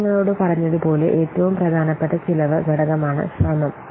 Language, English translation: Malayalam, Now, as I have a little, one of the most important cost component is effort